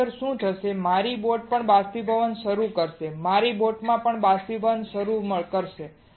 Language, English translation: Gujarati, Otherwise what will happen my boat will also start evaporating, my boat will also start evaporating